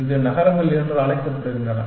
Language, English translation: Tamil, This is called as cities